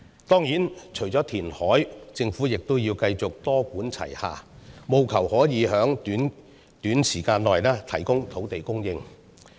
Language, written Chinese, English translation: Cantonese, 當然，除了填海，政府亦要繼續多管齊下，務求可以在短時間內提供土地。, Of course apart from reclamation the Government should continue to take a multi - pronged approach in seeking to provide land in a short period of time